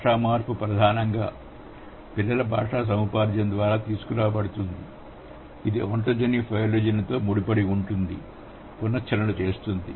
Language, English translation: Telugu, Language change is primarily brought about by child language acquisition, which has been closely tied to the hypothesis that ontogeny recapitulates phylogeny